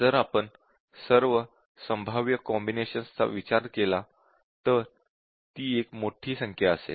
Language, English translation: Marathi, Now, if we consider all possible combinations that will be a huge number